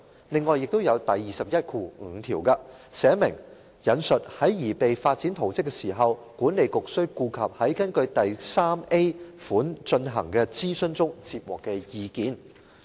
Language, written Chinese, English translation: Cantonese, 另外，第215條訂明，"在擬備發展圖則時，管理局須顧及在根據第 3a 款進行的諮詢中接獲的意見"。, Moreover section 215 stipulates that In preparing a development plan the Authority shall have regard to the views received in the consultation conducted under subsection 3a